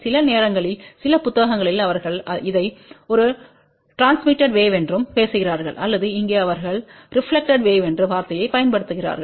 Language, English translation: Tamil, Sometimes in some books they also talk this as a transmitted wave also ok or over here they use the term reflected wave